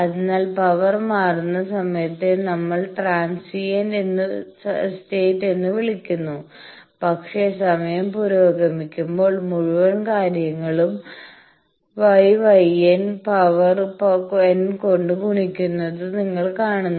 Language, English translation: Malayalam, So, the time when power is varies that we call transient state, but as time progresses; you see that the whole thing is getting multiplied by gamma S gamma L to the power n